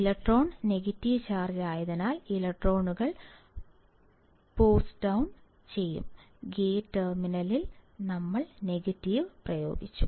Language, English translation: Malayalam, The electrons, will be post down because electron is negatively charged; we applied negative to the gate terminal